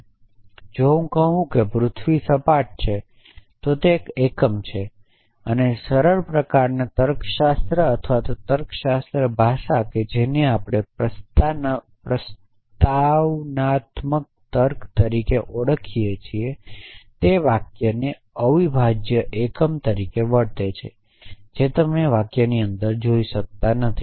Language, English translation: Gujarati, So, if I say the earth is flat then that is 1 unit essentially and the simplest kind of logic or logic language which we called as propositional logic treats a sentence as a unit unbreak unbreakable indivisible unit you cannot look inside a sentence